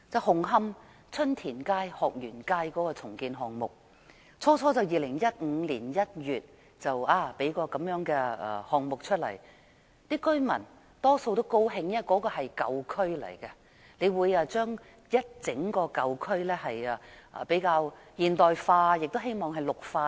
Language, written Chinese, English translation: Cantonese, 紅磡春田街、鶴園街的重建項目，最初在2015年1月提出，當時居民大多表示歡迎，因為那裏是舊區，重建可令整個舊區更現代化，亦希望能綠化等。, As the saying goes one tiny clue reveals the general situation . The Chun Tin StreetHok Yuen Street redevelopment project in Hung Hom was first proposed in January 2015 . At that time most of the residents welcomed the proposal because redevelopment could modernize Hung Hom an old district and add in greening elements and so on